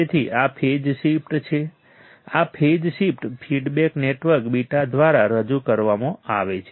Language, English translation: Gujarati, So, this phase shift, this phase shift is introduced by feedback network beta correct